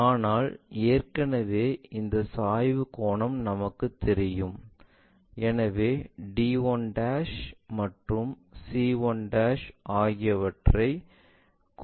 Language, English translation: Tamil, But already this inclination angle we know, from there we rotate it, so that d 1' c 1' we can easily locate it